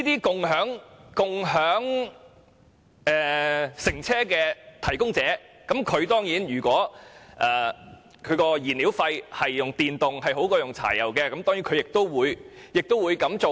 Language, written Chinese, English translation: Cantonese, 如果共享乘車服務提供者在燃料費方面用電力比柴油便宜，他當然會改用電動車。, If a carpooling service provider finds that the fuel cost of using electricity is lower than that of using diesel he will certainly switch to EVs